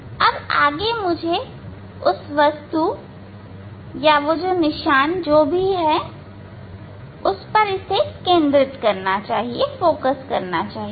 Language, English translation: Hindi, next let me now I have to focus the object that mark whatever is there